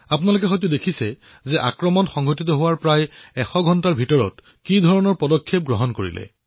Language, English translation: Assamese, You must have seen how within a hundred hours of the attack, retributive action was accomplished